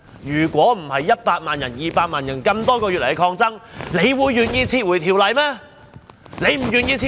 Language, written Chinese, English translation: Cantonese, 要不是100萬、200萬人多個月以來的抗爭，她會願意撤回條例嗎？, Had not 1 million and 2 million people come forward to protest over the past few months would she have withdrawn the Bill?